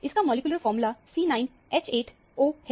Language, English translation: Hindi, The molecular formula is given as C14H22O